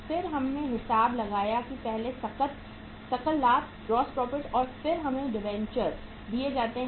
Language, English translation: Hindi, Then we calculated the GP first and then we are given the debentures